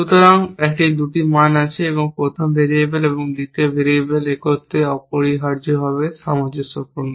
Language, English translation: Bengali, So, that there is a 2 values, for the first variable and second variable are together consistence essentially